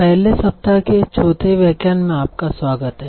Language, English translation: Hindi, So, welcome back for the fourth lecture of the first week